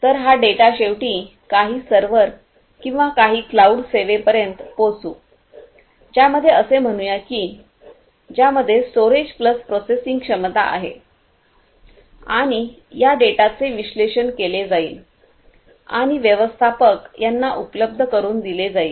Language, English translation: Marathi, So, these data are finally, going to reach some server or some cloud service let us say which has storage plus processing capability and this data would be analyzed and would be made available to let us say the manager